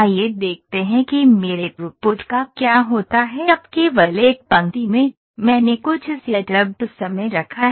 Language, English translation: Hindi, Let us see what happens to my throughput now only in 1 line, I have put some setup time